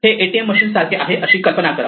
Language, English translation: Marathi, Imagine something like an ATM machine